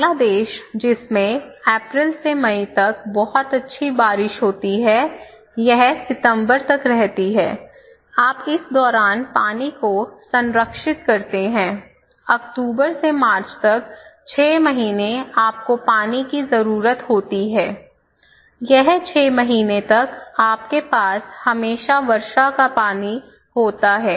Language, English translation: Hindi, Bangladesh which has a very good rainfall like this one from April to May, you get a rainwater so, it continues till September so, from October to March, 6 months you need water so, you preserve water during this time in the end of this and then you can continue for this 6 months and during this time you have always rainwater